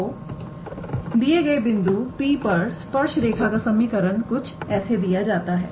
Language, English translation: Hindi, So, the equation of the tangent line; at the point P is given by